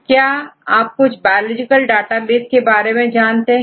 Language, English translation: Hindi, So, could you list some of the biological databases